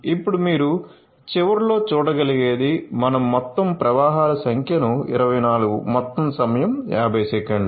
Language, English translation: Telugu, So, we have generated the total number of flows which is 24, total time is 50 seconds